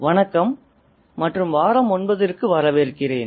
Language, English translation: Tamil, Hello and welcome to week 9